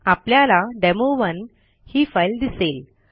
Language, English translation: Marathi, And as you can see the demo1 file is there